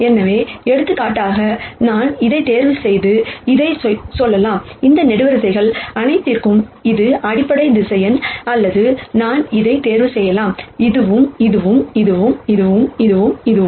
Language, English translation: Tamil, So, for example, I could choose this and this and say, this is the basis vector for all of these columns or I could choose this and this and this or this and this and so on